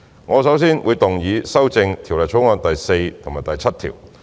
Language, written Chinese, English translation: Cantonese, 我首先會動議修正《條例草案》第4及7條。, I will first move to amend clauses 4 and 7 of the Bill